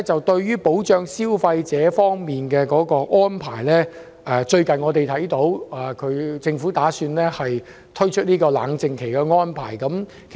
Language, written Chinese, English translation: Cantonese, 對於保障消費者權益的安排，特區政府最近宣布有意設立法定冷靜期。, Concerning the protection of consumers rights and interests the SAR Government has recently announced the intention to legislate for a cooling - off period